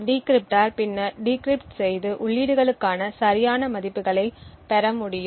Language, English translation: Tamil, The decryptor would then be able to decrypt and get the correct values for the inputs